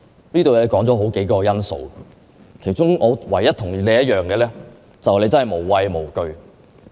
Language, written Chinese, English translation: Cantonese, 她提出了數項因素，我唯一同意的是，她真的無畏無懼。, She mentioned several qualities but I agree to only one of them and that is she is honestly fearless